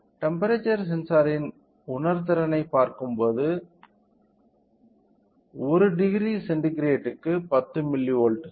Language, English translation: Tamil, So, the sensitivity of temperature sensor is 10 milli volt per degree centigrade